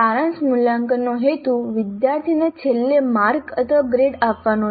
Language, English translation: Gujarati, The purpose of a summative assessment is to finally give mark or a grade to the student